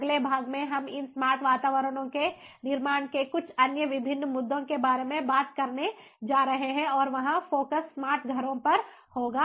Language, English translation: Hindi, in the next part, we are going to talk about few other different issues of building, ah, these smart environments, and there the focus will be on smart homes